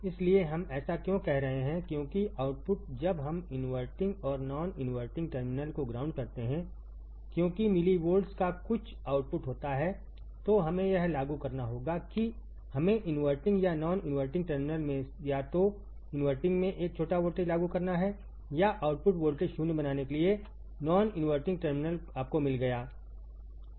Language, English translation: Hindi, So, what we are saying that because the output when we ground the inverting and non inverting terminal because there is some output of millivolts, we have to apply we have to apply a small voltage at either inverting or non inverting terminal at either inverting or non inverting terminal to make the output voltage 0, you got it